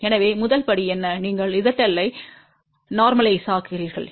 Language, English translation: Tamil, So, what is the first step, you normalize Z L